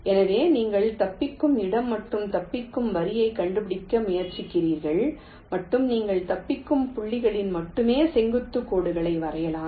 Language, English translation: Tamil, so you try to find out escape point and escape line and you draw the perpendicular lines only at the escape points